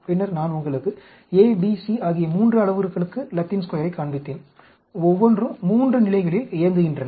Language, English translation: Tamil, Then, I showed you Latin Square for 3 parameters A, B, C, each operated at 3 levels